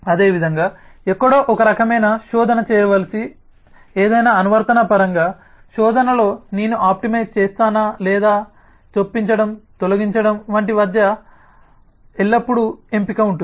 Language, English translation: Telugu, similarly, in terms of any application that needs to do some kind of a search somewhere, there is always a choice between do i optimize on search or do i optimize on insert delete